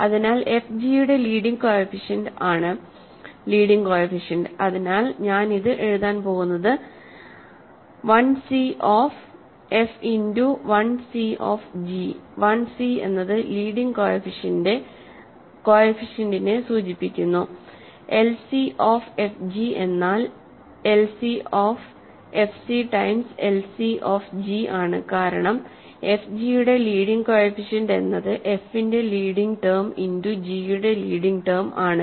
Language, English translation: Malayalam, So, the leading coefficient of f g is the leading coefficient, so I am going to write this as l c of f times l c of g, l c is stands for leading coefficient, l c of f g is l c of f times l c of g because leading term of f g is just the leading term of f multiplied by leading term of g